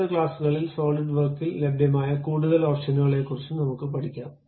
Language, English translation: Malayalam, In next classes, we will learn about more options available at Solidworks